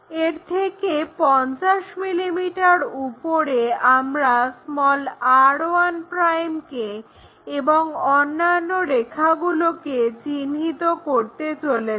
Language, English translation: Bengali, Let us call this is at 50 mm above on this, we are going to locate r 1' and other lines